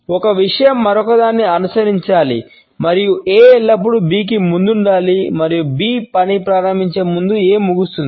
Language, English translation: Telugu, One thing has to follow the other and A should always precede B and A should end before the task B begins